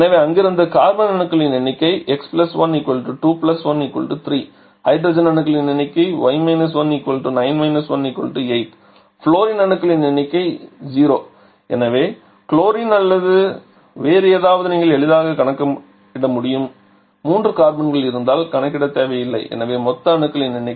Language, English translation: Tamil, Number of hydrogen will be equal to y – 1, so 9 1 that is 8, fluorine will be equal to 0, so chlorine or something else you can easily calculate actually there is no need to calculate because as there are 3 carbons the total number of other molecules or sorry other atoms that can be present is equal to 3 into 2 + 2 that is 8 only